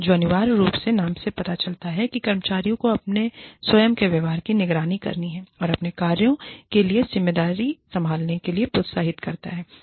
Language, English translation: Hindi, Which essentially, as the name suggests, encourages employees, to monitor their own behaviors, and assume responsibility, for their actions